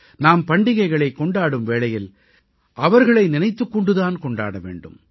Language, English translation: Tamil, We have to celebrate our festivals bearing them in mind